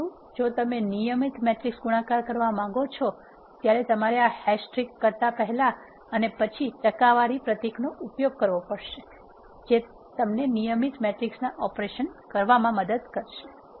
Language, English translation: Gujarati, But if you want to have a regular matrix multiplication you have to use percentage symbol before and after this hash trick that will perform the regular matrix operation